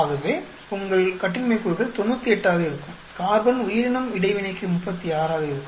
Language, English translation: Tamil, So, your degrees of freedom could in will be 98 then for interaction of carbon organism 36